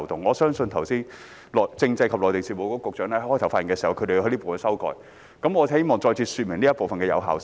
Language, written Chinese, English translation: Cantonese, 我相信剛才政制及內地事務局局長在開場發言時也提到，他們就這部分提出了修訂。, I believe the Secretary for Constitutional and Mainland Affairs also mentioned in his opening remarks that they have proposed an amendment to this part